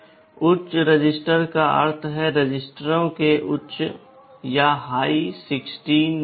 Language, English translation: Hindi, High register means the high order 16 bits of the registers